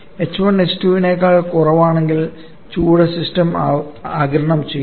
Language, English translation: Malayalam, If h1 is lesser than h2 then heat is being observed by the system